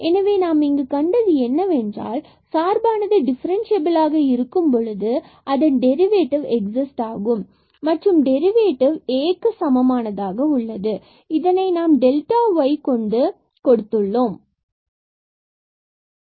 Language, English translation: Tamil, So, what we have seen that if the function is differentiable then the derivative exist and that derivative is equal to A, this is given in this expression of delta y